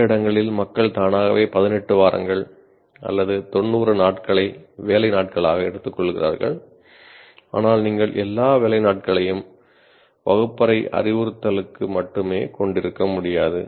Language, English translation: Tamil, Though in some places people automatically take it, say 18 weeks, 90 days as the working days, but you cannot have all the working days only for the classroom instruction